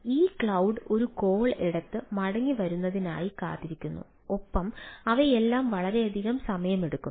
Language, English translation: Malayalam, so ah, waiting for that cloud to take a call, revert back, and all those things may take lot of time